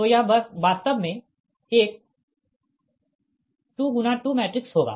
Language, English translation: Hindi, this is a two in to two matrix